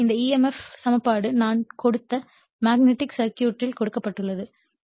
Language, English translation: Tamil, So, this emf equation is given actually in that magnetic circuit I have given